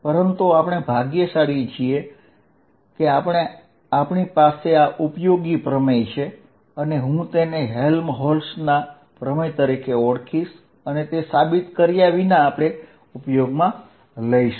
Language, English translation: Gujarati, But, we are fortunate there is a theorem and I am going to say without proving it the theorem called Helmholtz's theorem